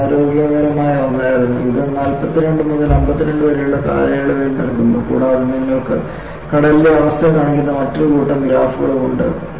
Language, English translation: Malayalam, This is something unhealthy and this gives for a period from 42 to 52 and you also have another set of graphs, which shows the condition at sea